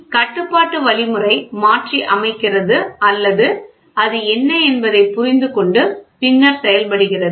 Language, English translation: Tamil, Control algorithm does the modification or understands what is it then it actuates